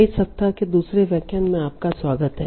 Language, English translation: Hindi, Welcome back for the second lecture of this week